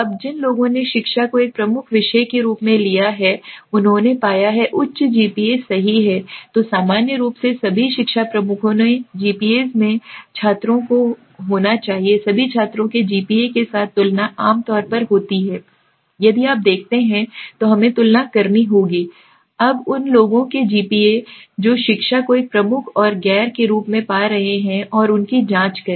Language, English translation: Hindi, Now people who have taken education as a major subject right have found to be having higher GPAs right then the students in general okay GPAs of all the education major should be compared with the GPAs of all students there are generally if you see so we have to compare the GPAs of all the people who are having education as a major and the non ones and check them